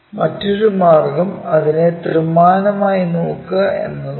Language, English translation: Malayalam, The other way is look at it in three dimensions